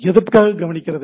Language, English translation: Tamil, And listening for what